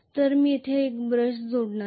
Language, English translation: Marathi, So I am going to connect one brush here